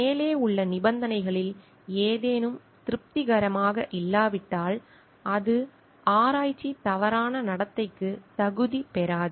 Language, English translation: Tamil, If any of the above conditions is not satisfied, it does not qualify for a research misconduct